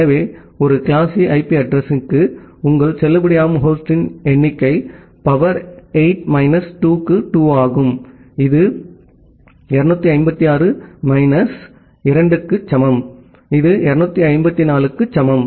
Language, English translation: Tamil, So, for a class C IP address, your number of valid host is 2 to the power 8 minus 2 which is equal to 256 minus 2 that is equal to 254